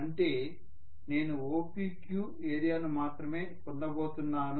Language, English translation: Telugu, Which means I am going to get only area OPQ